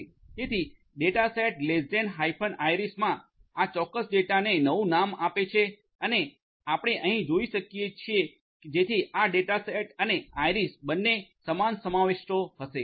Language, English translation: Gujarati, So, you know data set less than hyphen iris will basically rename this particular data set to data set and as you can see over here so this data set and iris will both have the same contents